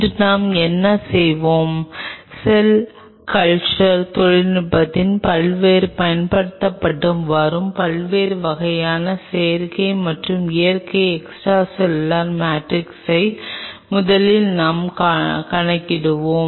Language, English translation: Tamil, Today what we will do; we will first of all enumerate the different kind of synthetic and natural extracellular matrix which are currently being used in the cell culture technology